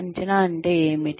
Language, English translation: Telugu, What is an appraisal